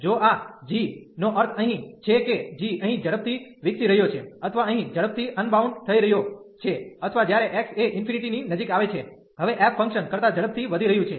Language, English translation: Gujarati, If this g is the meaning here is that g is growing faster or getting unbounded faster here or to when x approaching to infinity, now going growing faster than the f function